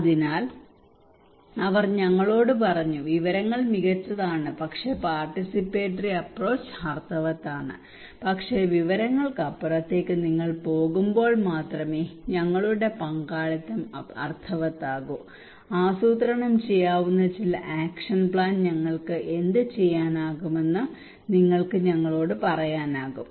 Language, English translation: Malayalam, So they said to us that information is fine but a participatory approach is meaningful, our participation is meaningful only when apart from informations you go beyond that you can tell us that what we can do some plan actionable plan